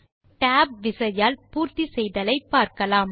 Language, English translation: Tamil, Now, lets see, what is tab completion.